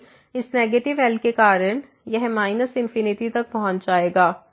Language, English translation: Hindi, But because of this negative , this will approach to minus infinity